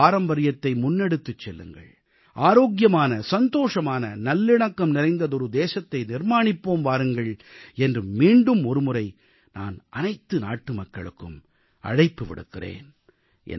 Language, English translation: Tamil, Once again, I appeal to all the citizens to adopt their legacy of yoga and create a healthy, happy and harmonious nation